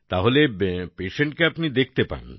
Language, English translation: Bengali, So you see the patient as well